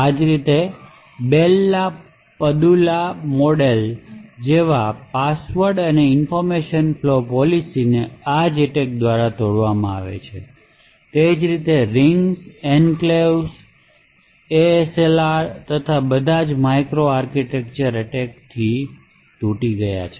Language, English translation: Gujarati, Similarly, passwords and the information flow policies such as the Bell la Padula models have been broken by these attacks similarly privileged rings, enclaves, ASLR and so on have all been broken by micro architectural attacks